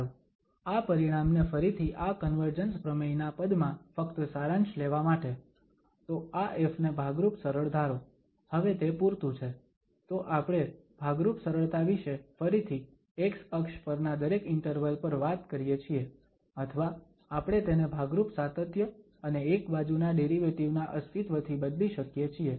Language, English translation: Gujarati, Well, just to summarise this result again in terms of this convergence theorem, so let this f be piecewise smooth, so that is sufficient now, so we are talking about piecewise smooth again on every interval on the x axis or we can replace by piecewise continuous and one sided derivative